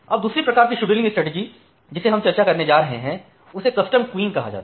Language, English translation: Hindi, The second type of scheduling strategy that we are going to discuss it called as the custom queuing